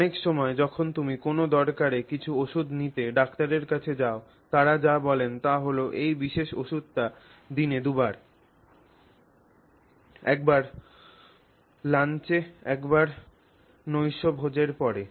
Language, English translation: Bengali, Okay, so many times when you go to the doctor to get some medication for some necessity, what they will say is you take this particular medicine twice a day, once at lunch at once at dinner